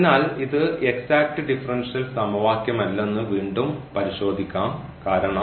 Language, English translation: Malayalam, That means this is the exact differential equation which we can also verify